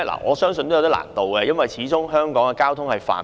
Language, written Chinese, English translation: Cantonese, 我相信有點難度，因為香港交通非常繁忙。, I believe it will not be easy given the very busy traffic in Hong Kong